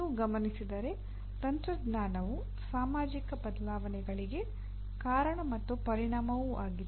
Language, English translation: Kannada, If you note, technology is both cause and effect of societal changes